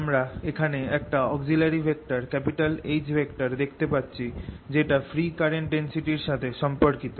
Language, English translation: Bengali, we are introducing a vector h which is related to free current density